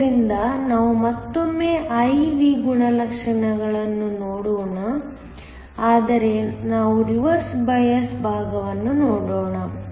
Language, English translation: Kannada, So, let us again look at the I V characteristics, but let us look at the reverse bias side